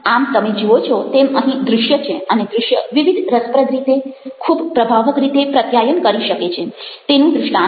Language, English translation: Gujarati, so you find that what we have over here is an illustration of visuals and the way that visuals manages to communicate very powerfully in various interesting ways